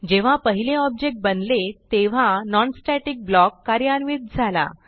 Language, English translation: Marathi, Then again when the second object is created, the non static block is executed